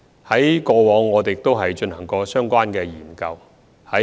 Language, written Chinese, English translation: Cantonese, 我們過往亦曾進行相關研究。, We had also conducted relevant studies in the past